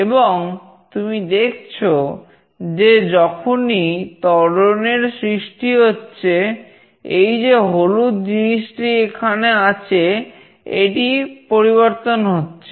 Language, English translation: Bengali, And you see that whenever there is some acceleration, this particular yellow thing that is there it changes